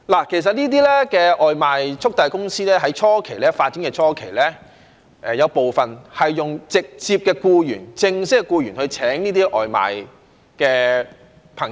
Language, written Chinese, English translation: Cantonese, 其實這些外賣速遞公司在發展初期，有部分是用直接的僱員或正式的僱員的方式聘請這些送外賣的朋友。, This is the employment reality of gig workers at present . Actually during their initial development some takeaway delivery companies employed takeaway delivery workers under the mode of direct or formal employment